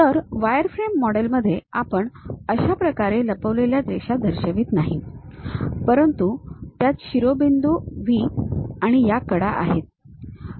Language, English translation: Marathi, So, in wireframe model we do not show this kind of hidden lines, but it contains vertices V and these edges